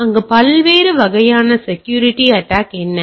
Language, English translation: Tamil, Now, what are the different types of security attacks can be there